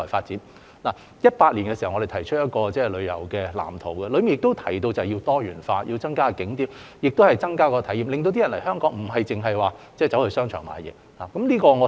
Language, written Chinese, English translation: Cantonese, 2017年，我們提出了一個旅遊業發展藍圖，當中提到要多元化、增加並優化景點及提升旅客體驗，令旅客來港不止為了到商場購物。, In 2017 we have put forward a development blueprint for the tourism industry to propose diversification increasing and upgrading attractions and enhancing visitors travel experience so that our visitors can have a lot more activities in Hong Kong other than shopping